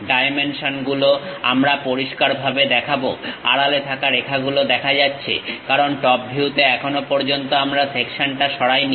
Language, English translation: Bengali, The dimensions clearly we will show, the hidden lines are clearly visible; because in top view as of now we did not remove the section